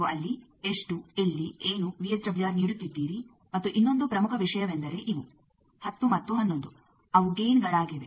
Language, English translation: Kannada, How much where what VSWR you are giving there and another important thing is these; 10 and 11 those are the gains